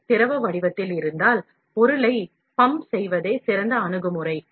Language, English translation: Tamil, If the material is in the liquid form, then the ideal approach is to pump the material